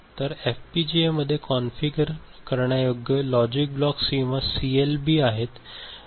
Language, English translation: Marathi, So, these FPGAs consist of Configurable Logic Blocks or CLB ok